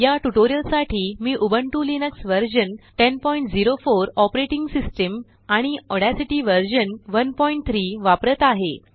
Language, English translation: Marathi, For this tutorial, I am using the Ubuntu Linux 10.04 version operating system and Audacity version 1.3